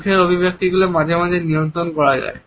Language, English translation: Bengali, Facial expressions can also be sometimes controlled